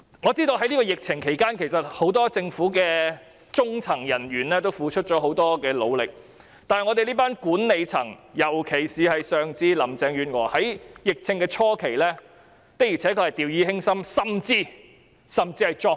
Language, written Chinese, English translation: Cantonese, 我知道在抗疫期間，政府很多中層人員均付出了很大努力，但管理層，尤其是林鄭月娥，在疫症初期的確曾掉以輕心，甚至是作對。, I know that many middle - level government personnel have made great efforts during the anti - epidemic period but the management especially Carrie LAM took the epidemic lightly or even set herself against others in the early days